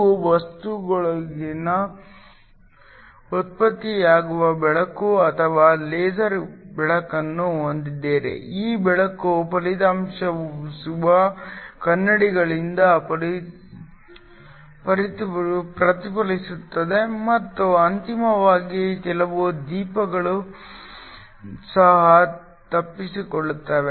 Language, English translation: Kannada, You have light or laser light that is generated within the material, this light gets reflected from both the reflecting mirrors and finally some of the lights will also escape